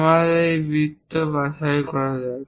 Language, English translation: Bengali, Let us pick this object